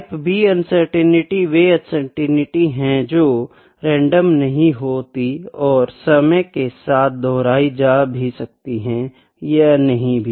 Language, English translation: Hindi, So, the type B uncertainties are the uncertainties which are not random which may or may not repeat each time